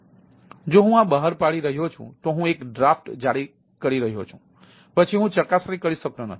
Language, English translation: Gujarati, so if i am issuing the thing, ah, issuing the draft, then the verification